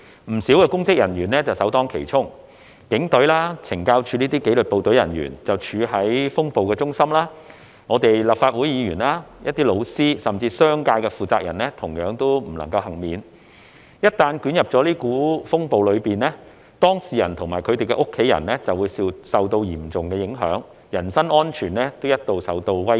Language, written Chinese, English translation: Cantonese, 不少公職人員首當其衝，警隊、懲教署等紀律部隊人員處於風暴的中心；我們立法會議員、老師，甚至是商界的負責人同樣不能幸免；一旦捲入這股風暴中，當事人及他們的家人就會受到嚴重影響，人身安全一度也受到威脅。, Quite a number of public officers were the first to bear the brunt with members of the disciplined services such as the Police Force and the Correctional Services Department being at the centre of the storm . We Legislative Council Members teachers and even business operators were not immune to it . Once caught up in this storm those involved and their family members were severely affected and their personal safety would be endangered at some point